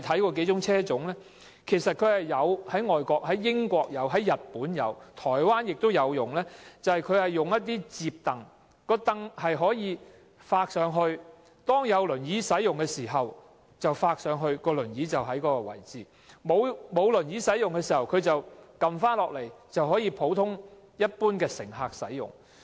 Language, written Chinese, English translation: Cantonese, 我們知道，英國、日本和台灣使用數個車種，車上安裝一些摺櫈，有輪椅人士使用時，摺櫈可以向上摺，以便放置輪椅；沒有輪椅人士使用時，摺櫈可以放下來，讓普通乘客使用。, We are aware that a few vehicle models now used in the United Kingdom Japan and Taiwan have some folding seats installed therein . Such seats can be folded up to accommodate wheelchairs and when there are no wheelchair users the folding seat can be put down for ordinary passengers